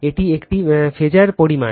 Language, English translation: Bengali, This is a phasor quantity right